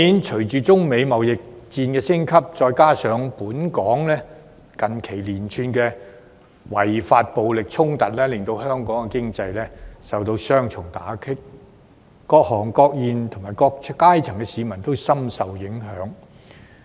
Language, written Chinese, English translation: Cantonese, 隨着中美貿易戰升級，加上本港近期發生連串違法暴力衝突，香港經濟受到雙重打擊，各行各業及各階層市民都深受影響。, The escalation of the China - United States trade war and the recent outbreak of a series of unlawful violent clashes in Hong Kong have dealt a double blow to the economy of Hong Kong seriously affecting various trades and industries and people of all walks of life